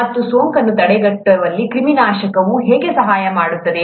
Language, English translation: Kannada, And how does sterilization help in preventing infection